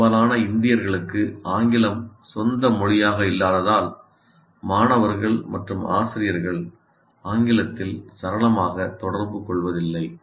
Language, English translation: Tamil, And English not being our language, the native language for most Indians, students as well as teachers are not necessarily fluent communicating in English